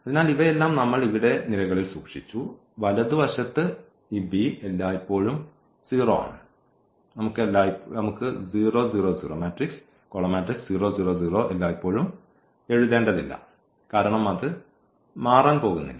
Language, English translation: Malayalam, So, we kept all these in the columns here and the right hand side this b is always 0, we can we do not have to write also this 0, 0, 0 always because that is not going to change